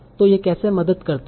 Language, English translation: Hindi, So how does that help